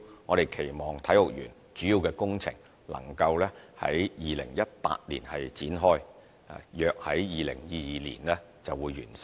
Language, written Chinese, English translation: Cantonese, 我們期望體育園的主要工程能夠於2018年展開，約於2022年完成。, We hope that the main works of the Kai Tak Sports Park can commence in 2018 for completion in around 2022